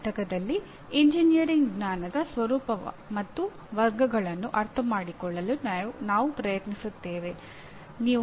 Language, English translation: Kannada, And in the next unit, we will try to understand the nature and categories of engineering knowledge